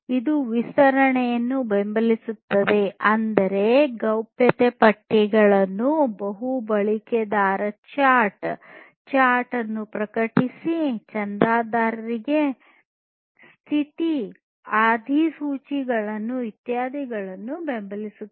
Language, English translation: Kannada, It supports extensibility; that means, supporting privacy lists, multi user chat, publish/subscribe chat, status notifications etc